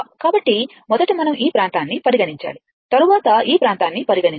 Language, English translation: Telugu, So, first we have to consider this area and then we have to consider this area